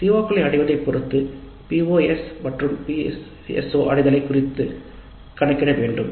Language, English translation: Tamil, Then via the attainment of the COs we need to compute the attainment of POs and PSOs also